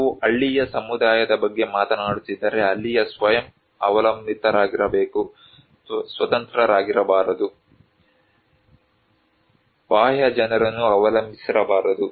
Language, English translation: Kannada, If we are talking about a village community, there should be self dependent, not independent, not depend to external people